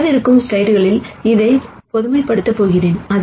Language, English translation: Tamil, I am going to generalize this in the coming slides